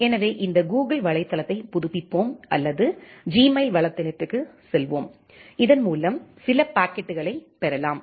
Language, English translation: Tamil, So, let us refresh this Google website or go to the Gmail website, so that we can get certain packets